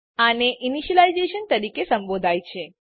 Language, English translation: Gujarati, This is called as initialization